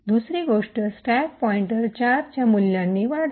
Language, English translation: Marathi, Second thing the stack pointer increments by a value of 4